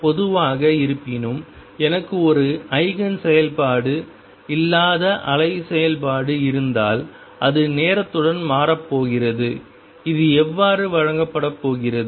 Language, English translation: Tamil, In general; however, if I have a wave function which is not an Eigen function, it is going to change with time and this is how it is going to be given